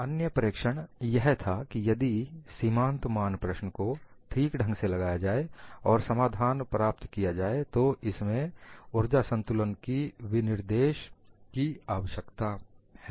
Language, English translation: Hindi, The other observation was if the boundary value problem is properly posed and solution could be obtained, the need for specification of an energy balance is redundant